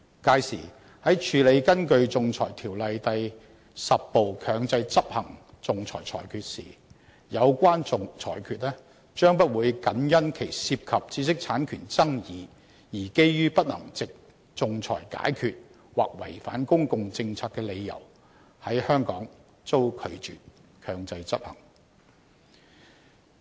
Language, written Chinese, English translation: Cantonese, 屆時，在處理根據《仲裁條例》第10部強制執行的仲裁裁決時，有關裁決將不會僅因其涉及知識產權爭議而基於不能藉仲裁解決或違反公共政策的理由在香港遭拒絕強制執行。, The effect is that enforcement of an arbitral award under Part 10 of AO would not be refused in Hong Kong on the ground that the subject matter is not capable of settlement by arbitration or it is contrary to the public policy merely because the award concerns IPR disputes